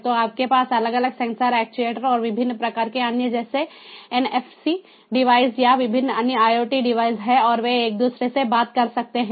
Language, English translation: Hindi, so you have different sensors, actuators and different types of other like nfc devices, or you know different other iot devices, and they talk to each other